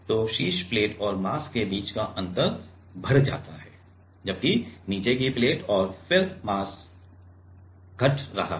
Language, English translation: Hindi, So, the gap between the top plate, the gap between the top plate and the mass is increasing whereas, bottom plate and then the mass is decreasing